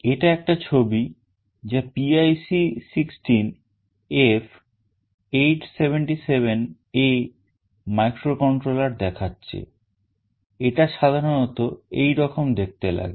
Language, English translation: Bengali, This is a sample diagram showing PIC 16F877A microcontroller this is how it typically looks like